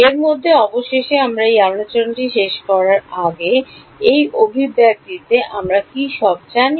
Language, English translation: Bengali, In this so, finally, before we end this discussion, in this expression do we know everything